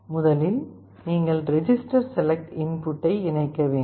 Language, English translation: Tamil, First you have to connect the register select input